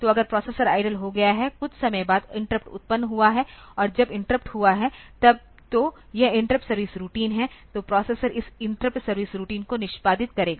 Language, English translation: Hindi, So, if the processor has become idle after sometime from interrupt has occurred and when the interrupt has occurred then this is the interrupt service routine so, processor will execute this interrupt service routine